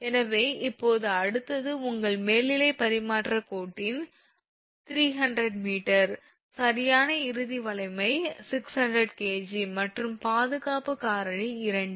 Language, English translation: Tamil, So now next one is that your an overhead transmission line right has a span of 300 meter, right ultimate strength is 600 kg, and factor of safety is 2